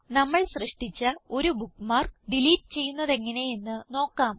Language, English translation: Malayalam, And how do we delete a bookmark we created